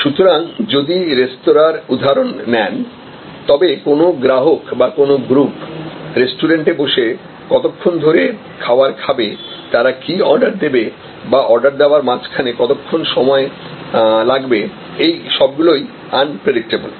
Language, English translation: Bengali, So, if you are looking at a, say restaurant, then how long a customer will be in the restaurant, having his or her meal or the group and what all they will order, how long they will spend between ordering, etc, these are unpredictable